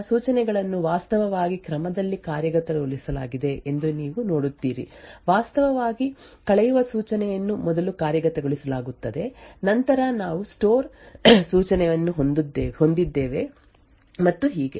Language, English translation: Kannada, So, you see that the instructions are actually executed out of order, the subtract instruction in fact is executed first, then we have the store instruction and so on